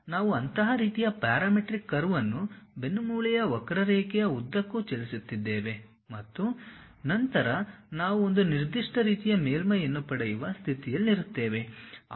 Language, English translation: Kannada, So, we are moving such kind of parametric curve along a spine curve then also we will be in a position to get a particular kind of surface